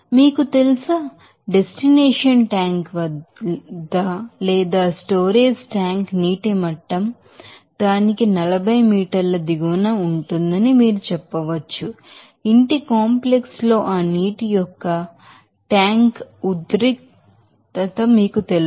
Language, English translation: Telugu, You know, destination tank or you can say that the storage tank water level is 40 meter below that, you know this tension my tank of that water in the house complex